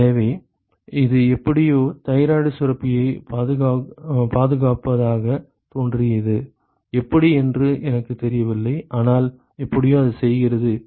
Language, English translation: Tamil, So, that somehow seemed to protect the thyroid gland, I do not know how, but somehow it does